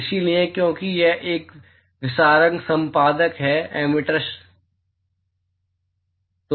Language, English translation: Hindi, So, because it is a diffuser editor, emitter, excuse me